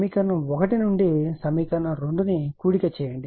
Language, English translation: Telugu, Add equation 1 and 2 if, you do